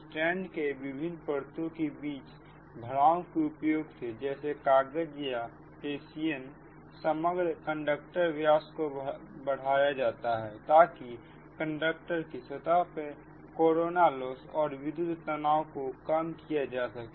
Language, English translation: Hindi, so, by the use of a filler or such as paper or hessian right, between various layers of strength so as to increase the overall conductor diameter, to reduce the corona loss and electrical stress at conductor surface